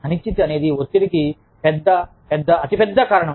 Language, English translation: Telugu, Uncertainty is a big, big, big reason for stress